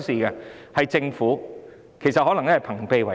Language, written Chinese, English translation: Cantonese, 然而，情況其實可能是朋比為奸。, However the two parties may act in collusion